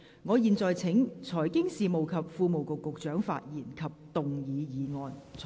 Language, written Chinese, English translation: Cantonese, 我現在請財經事務及庫務局局長發言及動議議案。, I now call upon the Secretary for Financial Services and the Treasury to speak and move the motion